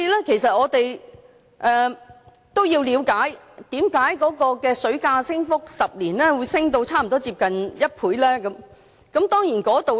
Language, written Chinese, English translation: Cantonese, 其實，我們都要了解為何10年來的水價會有差不多1倍的升幅。, In fact we need to know why the price of water has almost doubled in a decade